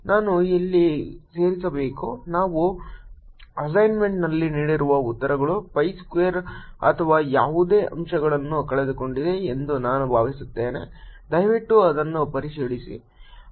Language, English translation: Kannada, i must add here that i think the answers that we have given in the assignment are missing a factor of pi square or something